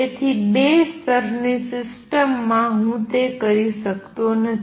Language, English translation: Gujarati, So, in two level system I cannot do that